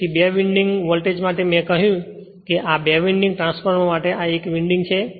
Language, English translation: Gujarati, So, for two winding voltage, I told you that this for two winding transformer this is 1 winding right